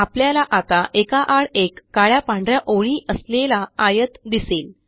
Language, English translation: Marathi, You will now see a rectangle with alternating black and white lines